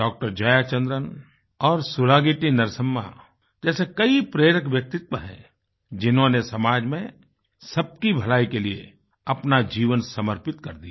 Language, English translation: Hindi, Jaya Chandran and SulagittiNarsamma, who dedicated their lives to the welfare of all in society